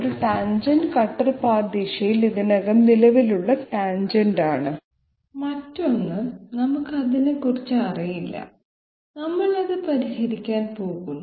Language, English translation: Malayalam, One tangent is, already the existing tangent in the cutter path direction and the other tangent we do not know about it, we are going to solve for it